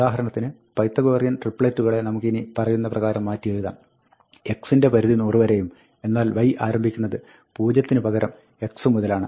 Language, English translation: Malayalam, For instance, we can now rewrite our Pythagorean triples to say that, x is in range 100, but y does not start at 0; it starts from x onwards